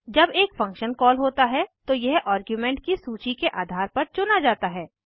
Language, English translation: Hindi, When a function is called it is selected based on the argument list